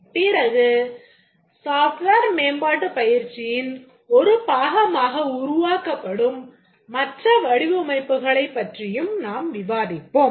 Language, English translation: Tamil, There are various models that need to be developed as part of a software development exercise